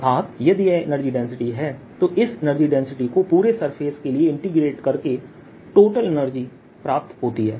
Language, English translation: Hindi, if that is the energy density density, the total energy comes out to be this energy density integrated over the entire volume